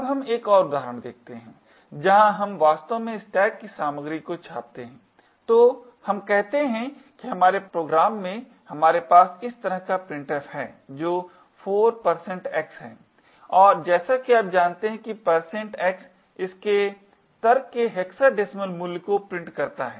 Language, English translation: Hindi, actually print the content of the stack, so let us say that in our program we have printf like this which 4 % x and as you know % x prints the hexadecimal value of its argument